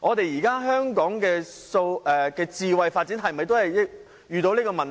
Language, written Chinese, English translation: Cantonese, 現時香港的"智慧"發展是否也遇上這個問題？, Have the present smart development projects in Hong Kong all encountered such a problem?